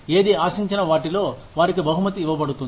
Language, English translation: Telugu, Whatever is expected of them, they are being rewarded